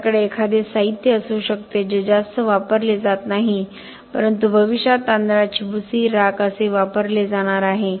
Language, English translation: Marathi, We might have a material that is not very much used but in future is going to be used say rice husk, ash